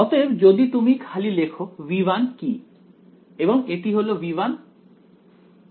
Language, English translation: Bengali, So, if you just write down what is V 1 and V 2 over here this is V 1 and V 2